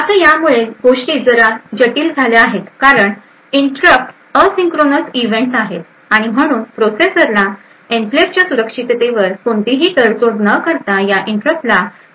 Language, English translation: Marathi, Now this makes things a bit complicated because interrupts are asynchronous events and therefore the processor would need to do service this interrupt without compromising on the security of the enclave